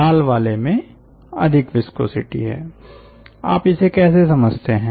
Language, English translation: Hindi, red one, the red one has more viscosity